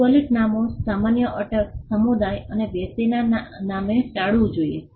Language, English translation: Gujarati, Geographical names, common surnames, names of community or persons should be avoided